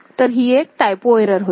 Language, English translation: Marathi, So, this was a typo error